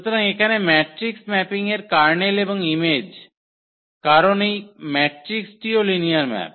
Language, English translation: Bengali, So, here the kernel and image of the matrix mapping; so, because this matrix are also linear maps